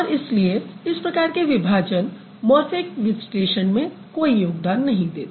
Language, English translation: Hindi, So, that is why this kind of a division doesn't encounter to the morphemic analysis